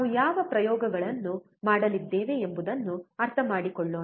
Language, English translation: Kannada, Let us understand what experiments we are going to perform